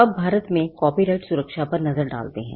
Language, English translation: Hindi, Now let us look at Copyright protection in India